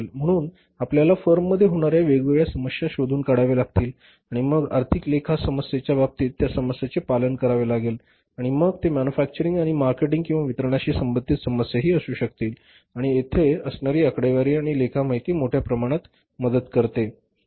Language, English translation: Marathi, So, we have to find out the different problems happening in the firm and then we have to plug these with regard to financial problems, accounting problems and even if it is manufacturing and marketing or the distribution related problems we will have to and there the numbers help figures help and accounting information help to a larger extent